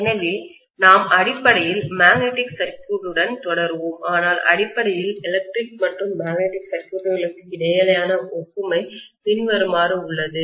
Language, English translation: Tamil, So we are essentially having; we will continue with magnetic circuits further, but we are essentially having the analogy between electric and magnetic circuits as follows